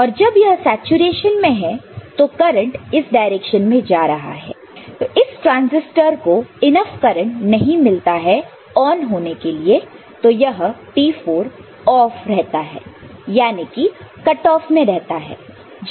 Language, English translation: Hindi, And when it is in saturation current is going in this direction, so this transistor does not get enough current to be on so this T4 is off, in cut off